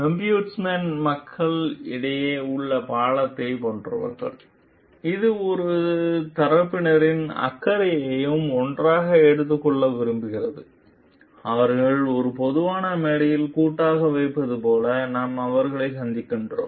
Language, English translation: Tamil, So, ombudsman people are like the bridge in between which tries to like take the concern of both the parties together, we meet them like put them collectively in a common platform